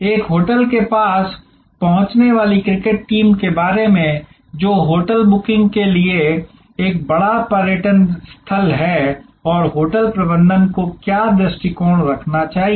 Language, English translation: Hindi, About a cricket team approaching a hotel which is a big great tourist destination for hotel booking and what should be the approach taken by the hotel management